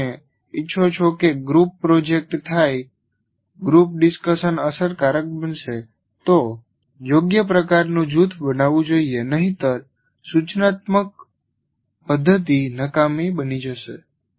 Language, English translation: Gujarati, If you want a group project to be done, a group discussion to be effective, there should be a right kind of group formation should be made